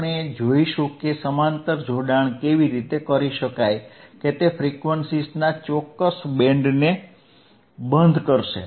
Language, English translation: Gujarati, We will see how the parallel connection can be done right, the name itself that it will stop a particular band of frequencies